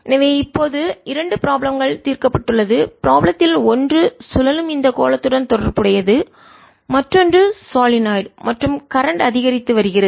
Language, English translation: Tamil, one of the problems was related to this sphere which is rotating, and the other problem where there's a solenoid and the current is increasing